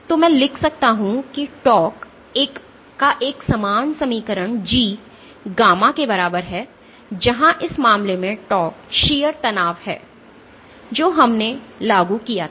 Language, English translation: Hindi, So, I can write a similar equation of tau is equal to G gamma, where in this case tau is the shear stress that we applied